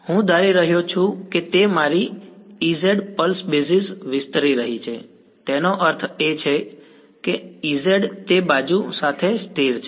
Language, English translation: Gujarati, I am assuming that my E z is going to expanded on a pulse basis; that means, E z is constant along that edge